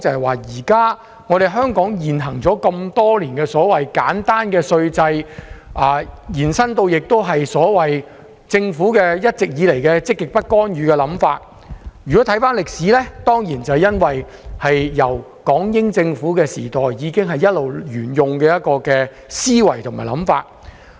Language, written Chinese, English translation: Cantonese, 回顧歷史，香港沿用多年的簡單稅制，以至政府一直以來的積極不干預政策，當然是港英政府時代已經一直沿用的思維。, Looking at our history the simple tax regime and the positive non - intervention policy all along implemented by the Government certainly represent the mindset of the Government since the British - Hong Kong era